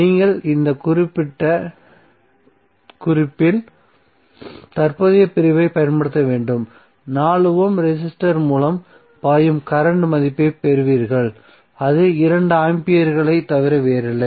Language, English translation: Tamil, So in that case what will happen you have to use current division at this particular note you will get the value of current flowing through 4 Ohm resistor that is nothing but 2 ampere